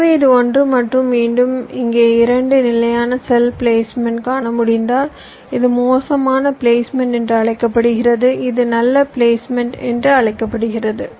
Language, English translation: Tamil, if you can see that i have shown two standard cell placements, this is so called bad placement and this is so called good placements